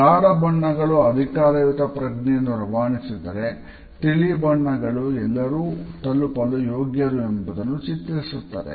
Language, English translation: Kannada, A darker colors convey a sense of authority whereas, lighter shades project an approachable image